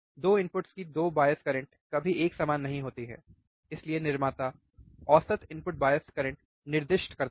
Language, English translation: Hindi, the 2 input 2 bias currents are never same, hence the manufacturer specifies the average input bias current, right